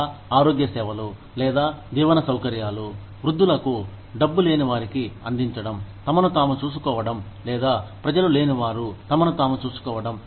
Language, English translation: Telugu, Or, to providing health services, or, living facilities, for the elderly, who do not have money, to take care of themselves, or, who do not have people, to take care of themselves